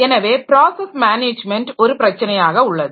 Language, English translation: Tamil, So, process management is an issue